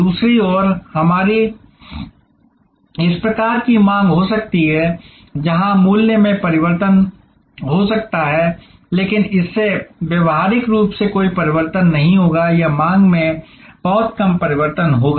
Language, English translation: Hindi, On the other hand we can have this type of demand, where the price may change, but that will cause practically no change or very little change in demand